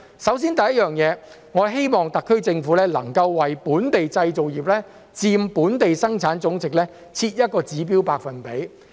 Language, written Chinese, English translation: Cantonese, 首先，我希望特區政府能為本地製造業佔本地生產總值設一個指標百分比。, First of all I hope that the SAR Government will set a target percentage for the local manufacturing industry in terms of GDP